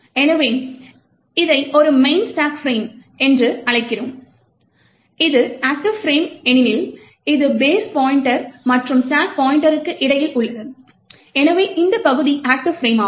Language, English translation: Tamil, So, we called this as a main stack frame and it is the active frame because it is between the base pointer and the stack pointer, so this region is the active frame